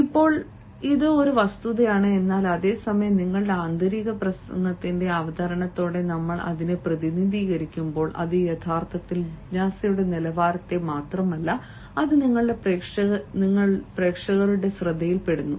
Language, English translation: Malayalam, now, now, this is a fact, but at the same time, when we a representing it with the presentation, our inner speech, it actually rages not only the curiosity level, but then it sustains throughout the attention of your reader, of of your audience members